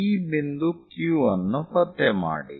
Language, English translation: Kannada, So, find this point T